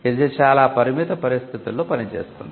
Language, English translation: Telugu, This operates in very limited circumstances